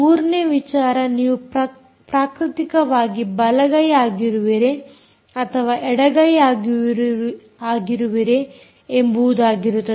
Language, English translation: Kannada, third thing, very simple: are you a natural left hander or a right hander